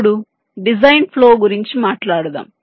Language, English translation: Telugu, ok, let us now talk about the design flow